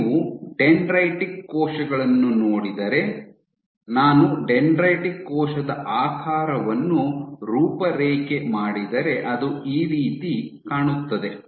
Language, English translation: Kannada, So, if you look at dendritic cells, if I were to outline the shape of a dendritic cell it will be more like this